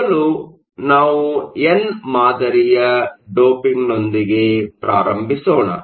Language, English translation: Kannada, First we will start with n type doping